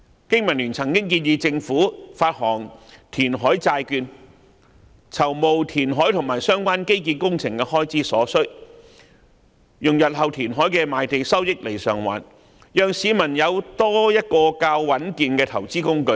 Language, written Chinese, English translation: Cantonese, 經民聯曾經建議政府發行填海債券，籌募填海和相關基建工程的所需開支，並以日後填海的賣地收益償還，讓市民有多一種較穩健的投資工具。, BPA has proposed that the Government should issue reclamation bonds as a means of raising funds for meeting the expenses on reclamation and related infrastructure works and redeem the bonds with its land sale revenue after reclamation so as to provide people with an additional and more stable investment tool